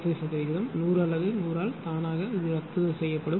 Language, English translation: Tamil, 5 percent 1 percent do not making it by 100 or 100 automatically it will be cancel